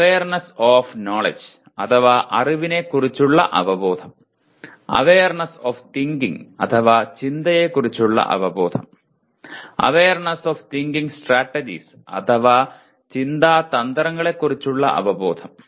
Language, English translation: Malayalam, Awareness of knowledge, awareness of thinking, and awareness of thinking strategies